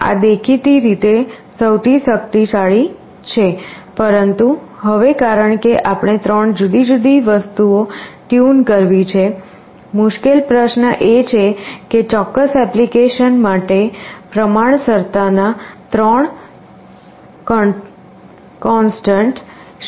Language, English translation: Gujarati, This is obviously most powerful, but now because we have 3 different things to tune, what will be the 3 constants of proportionality for a particular application is a difficult question